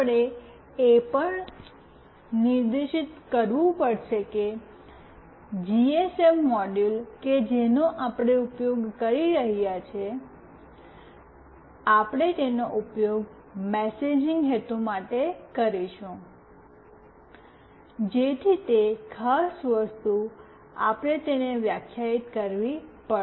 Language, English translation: Gujarati, We have to also specify that the GSM module that we are using, we will be using it for messaging purpose, so that particular thing we have to define it